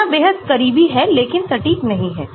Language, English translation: Hindi, calculations are extremely close but not exact